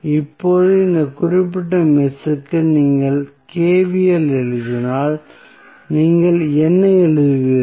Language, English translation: Tamil, Now, if you write the KVL for this particular mesh, what you will write